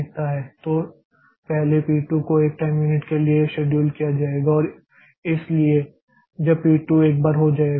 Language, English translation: Hindi, So, the first P0, first P2 will come for one time unit and after that P5 will come for 5 time units